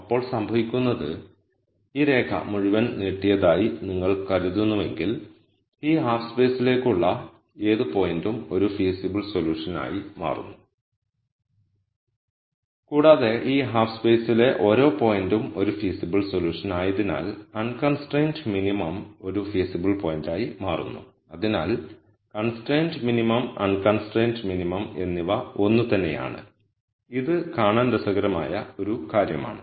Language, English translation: Malayalam, Then what happens is if you think of this line is extended all the way, any point to this half space now becomes a feasible solution and because every point in this half space is a feasible solution the unconstrained minimum also becomes a feasible point so the constrained minimum and unconstrained minimum are the same so this is an interesting thing to see